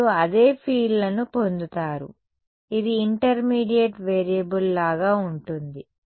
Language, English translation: Telugu, You get the same fields, its like a intermediate variable